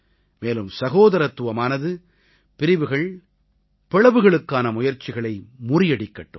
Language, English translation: Tamil, And brotherhood, should foil every separatist attempt to divide us